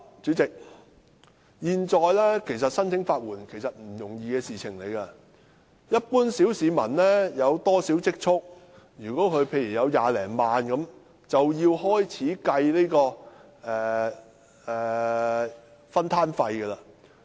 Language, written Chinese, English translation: Cantonese, 主席，現在申請法援並非易事，一般小市民如果有少許積蓄，例如有20多萬元，便要開始計算分攤費。, President applying for legal aid is not an easy task now . The general public who have a small amount of savings say 200,000 will have to calculate the amount of contribution they have to make